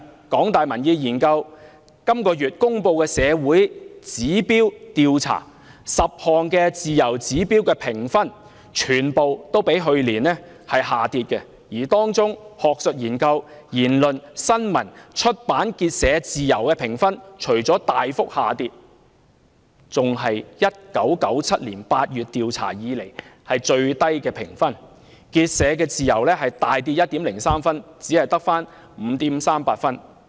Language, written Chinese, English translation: Cantonese, 港大民研本月公布"社會指標"調查結果 ，10 項自由次指標的評分對比去年全部下跌，而當中"學術研究自由"、"言論自由"、"新聞自由"、"出版自由"和"結社自由"的評分不僅大幅下跌，還是自1997年8月調查開始以來評分最低的一次，"結社自由"更暴跌 1.03 分至只有 5.38 分。, According to the survey findings on Social Indicators announced by HKUPOP this month all 10 freedom sub - indicators have also dropped . Among them the freedoms of academic research speech press publication and association have even dropped to record lows since the questions were first asked in August 1997 . The freedom of association has dropped drastically 1.03 points to 5.38 points